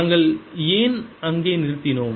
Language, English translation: Tamil, why did we stop there